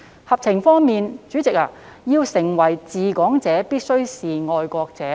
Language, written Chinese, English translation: Cantonese, 合情方面，代理主席，要成為"治港者"必須是"愛國者"。, Deputy President the Bill is sensible because a person must be a patriot in order to administer Hong Kong